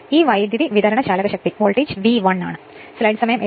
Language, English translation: Malayalam, In this supply voltage is V 1 right